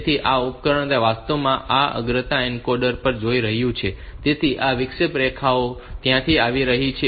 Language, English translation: Gujarati, So, this device, this is actually going to this is the priority encoder, so this interrupts lines are coming from there